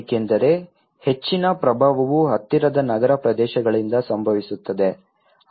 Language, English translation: Kannada, Because most of the influence happens from the nearby urban areas